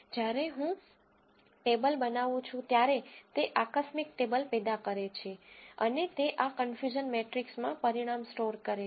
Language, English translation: Gujarati, When I do the table, it generates contingency table and it stores the result in this confusion matrix